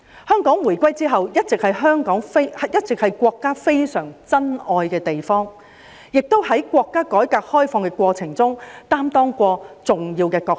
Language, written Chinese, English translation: Cantonese, 香港回歸之後，一直是國家非常珍愛的地方，亦在國家改革開放的過程中擔當過重要的角色。, Hong Kong has all along been a place extremely treasured by the country since its handover and it has played an important role in the course of reform and opening up of the country